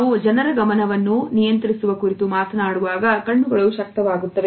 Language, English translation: Kannada, Eyes are enabler when we talk about controlling the attention of the people